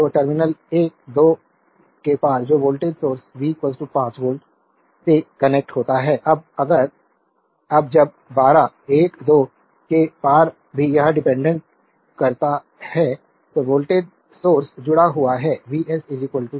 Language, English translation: Hindi, So, across terminal 1 2 that is voltage sources connect V is equal to 5 volt, now when across 1 2 also it dependent voltage source is connected V s is equal to 4 V